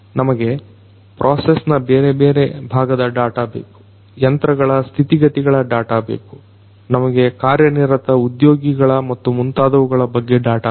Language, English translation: Kannada, We need data about different parts of the process, we need data about the health condition of the machines, we need data about the workforce the employees that are working and so on